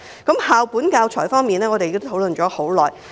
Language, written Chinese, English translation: Cantonese, 在校本教材方面，我們已討論良久。, We have been discussing school - based teaching materials for a long time